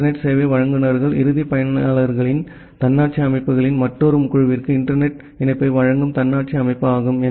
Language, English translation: Tamil, The internet service providers are the autonomous system that provides internet connectivity to another group of autonomous systems of the end users